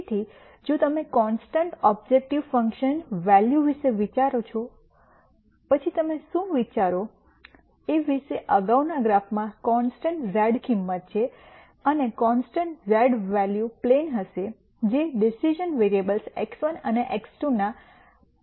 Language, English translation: Gujarati, So, if you think about constant objective function values then what you think about is a constant z value in the previous graph, and a constant z value would be a plane which will be parallel to the plane of the decision variables x 1 and x 2